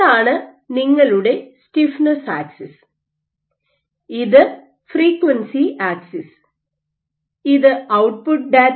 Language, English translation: Malayalam, So, this is your stiffness axis and this is your frequency axis, this is your output data